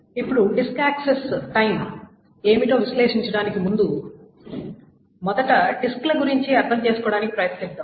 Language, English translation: Telugu, Now before we analyze what the disk access time are, let us first try to understand what the disks are, magnetic disks that we will be talking about